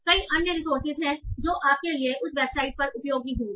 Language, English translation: Hindi, So, and there are many other resources that will be helpful for you on that website itself